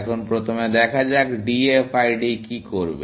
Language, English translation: Bengali, Now, first, let us see, what DFID would do